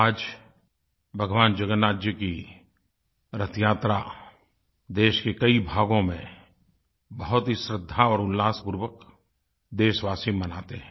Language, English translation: Hindi, The Car festival of Lord Jagannath, the Rath Yatra, is being celebrated in several parts of the country with great piety and fervour